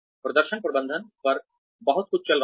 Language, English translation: Hindi, Performance management has a lot going on